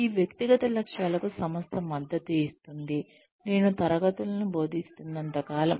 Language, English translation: Telugu, The organization will support, these personal goals, as long as, I am teaching the classes, I am teaching